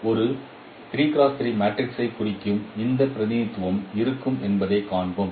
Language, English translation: Tamil, We will see that this representation will be there which is representing a 3 cross 3 matrix